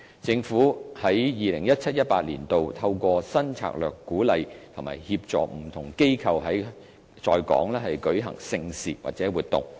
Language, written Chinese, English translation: Cantonese, 政府於 2017-2018 年度，透過新策略鼓勵及協助不同機構在港舉行盛事或活動。, In 2017 - 2018 the Government has adopted a new strategy to encourage and support different organizations to stage events or activities in Hong Kong